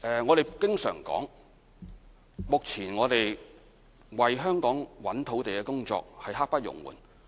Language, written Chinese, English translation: Cantonese, 我們經常說，目前為香港尋找土地的工作刻不容緩。, We often say that we are pressed for time in the identification of sites for Hong Kong